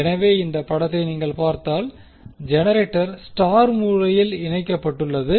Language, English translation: Tamil, So, if you see this particular figure the generator is wound in such a way that it is star connected